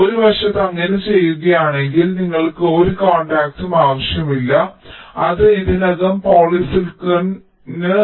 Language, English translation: Malayalam, if you do that, so on one side you do not need any contact, it is already in polysilicon